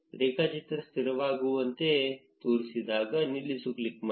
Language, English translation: Kannada, When the graph seems stabilized, click on stop